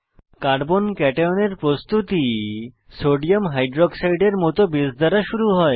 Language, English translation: Bengali, Formation of a Carbo cation is initialized by a base like Sodium Hydroxide